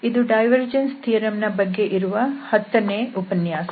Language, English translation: Kannada, This is lecture number 10 on divergence theorem